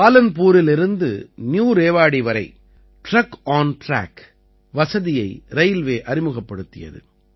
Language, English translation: Tamil, Railways started a TruckonTrack facility from Palanpur to New Rewari